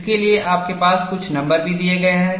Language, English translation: Hindi, You also have some numbers given to this